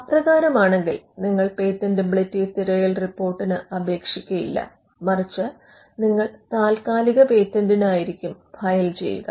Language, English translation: Malayalam, So, you would not then get into a patentability search report you would rather file a provisional